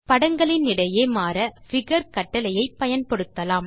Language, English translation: Tamil, Now to switch between the figures we can use figure command